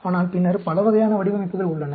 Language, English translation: Tamil, But then, there are many types of designs